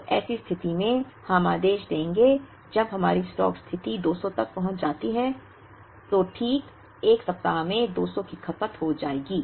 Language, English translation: Hindi, So, in such a situation, we would place the order when our stock position reaches 200 so that exactly in 1 week the 200 will be consumed